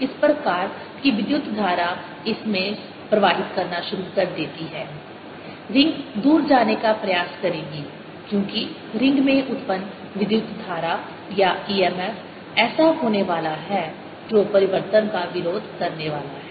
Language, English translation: Hindi, as soon as you will see, as you switch on the switch so that the current starts flowing, the ring in this will try to go away, because the current generated, or e m f generated in the ring is going to be such that it's going to oppose the change